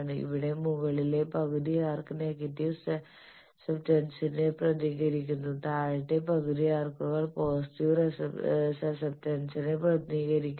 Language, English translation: Malayalam, And here the upper half arcs represent negative susceptance, lower half arcs represent positive susceptance